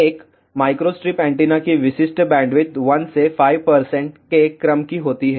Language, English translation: Hindi, Typical bandwidth of a microstrip antenna is of the order of 1 to 5 percent